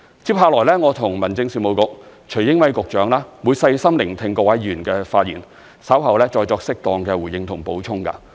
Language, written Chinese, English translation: Cantonese, 接下來我和民政事務局局長徐英偉會細心聆聽各位議員的發言，稍後再作適當的回應及補充。, In the debate that follows Secretary for Home Affairs Caspar TSUI and I will listen carefully to the speeches of Honourable Members . Later on we will give our replies and make additions where appropriate